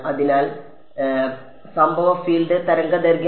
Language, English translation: Malayalam, So, lambda is incident field wavelength